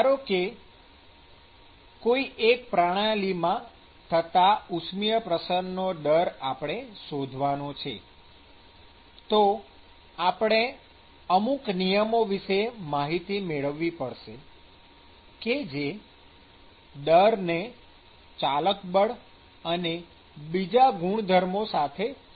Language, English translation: Gujarati, So, suppose I want to estimate a heat transfer rate for a particular system, then we need to have a certain governing laws that connects the rate or that connects the rates with the corresponding driving force and other properties